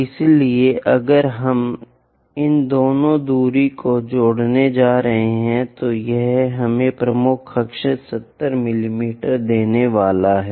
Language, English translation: Hindi, So, if we are going to add these two distances, it is supposed to give us major axis 70 mm